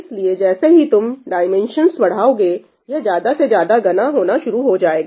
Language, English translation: Hindi, So, as you increase the dimension , it starts becoming more and more dense